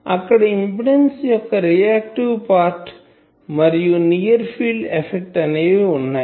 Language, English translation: Telugu, And then this reactive part of the impedance that near field affect etc